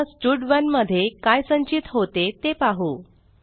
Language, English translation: Marathi, Now, let us see what stud1 contains